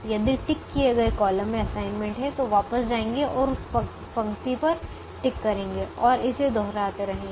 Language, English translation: Hindi, if a ticked column has an assignment, go back and tick that row and keep repeating it